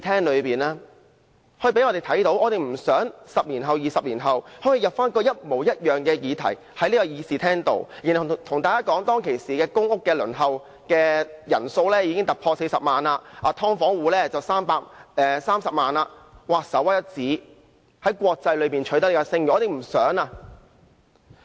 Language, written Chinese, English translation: Cantonese, 我們不想10年後、20年後要提出一模一樣的議題，然後在議事廳內對大家說，公屋輪候人數已經突破40萬人，"劏房戶"則有30萬人，在國際間屬首屈一指，我們不想取得這樣的"聲譽"。, We do not want to propose the same subject for discussion after 10 or 20 years and hear Members say in this Chamber that the number of people on the PRH Waiting List has exceeded 400 000 300 000 people are living in subdivided units and these numbers make us rank first in the world . We do not want this kind of reputation